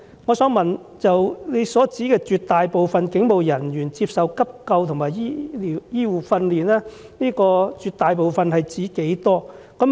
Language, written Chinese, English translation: Cantonese, 我想問局長，在"絕大部分警務人員都曾接受急救和一些基本的醫護訓練"中的"絕大部分"是指多少人？, Regarding the word most in the Secretarys remarks that most police officers had received first aid and basic medical training I would like to ask the Secretary How many police officers does the expression refer to?